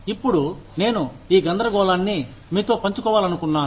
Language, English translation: Telugu, Now, i wanted to share this dilemma, with you